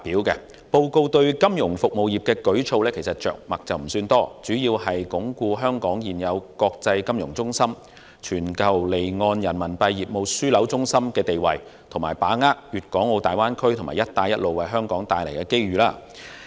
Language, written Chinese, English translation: Cantonese, 施政報告對金融服務業的舉措着墨不多，相關措施主要為鞏固香港現有國際金融中心及全球離岸人民幣業務樞紐的地位，並把握粵港澳大灣區及"一帶一路"為香港帶來的機遇。, There are not many new initiatives for the financial services . The relevant measures are mainly to consolidate Hong Kongs current status as an international financial centre and a global offshore Renminbi business hub and to grasp the opportunities brought by the Guangdong - Hong Kong - Macao Greater Bay Area and the Belt and Road Initiative